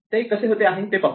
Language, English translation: Marathi, Let us see how it goes right